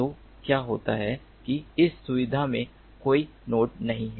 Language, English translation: Hindi, so what happens is that there is no node in this facility